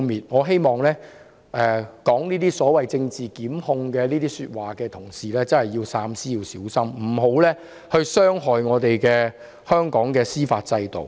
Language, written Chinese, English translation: Cantonese, 我希望說這是政治檢控的同事真的要三思和小心，不要傷害香港的司法制度。, I hope Honourable colleagues who said this is political prosecution will really think twice and be careful not to hurt the judicial system in Hong Kong